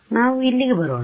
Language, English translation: Kannada, Let us come over here